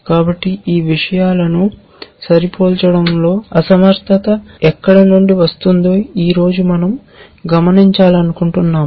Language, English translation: Telugu, So, what we want to do today now is to observe where does the inefficiency come from in matching these things